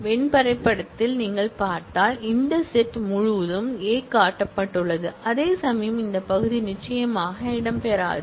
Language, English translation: Tamil, If you see in the Venn diagram, the whole of this set, A is shown whereas, this part certainly will not feature